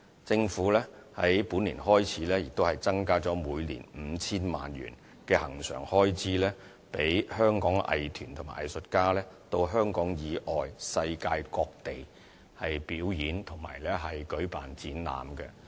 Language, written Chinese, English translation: Cantonese, 政府在本年度開始增加了每年 5,000 萬元的恆常開支，讓香港藝團和藝術家到香港以外、世界各地表演和舉辦展覽。, Starting from this year the Government increases the annual recurrent expenditure by 50 million to provide financial support for local arts groups and artists to travel outside Hong Kong to other places in the world for giving performances and holding exhibitions